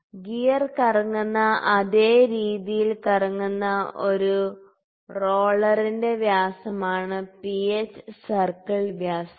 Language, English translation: Malayalam, So, pitch circle diameter is a diameter of roller, which would rotate in the similar way as the gear rotates